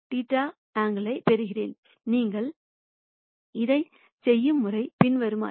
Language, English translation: Tamil, Now the way you do this is the following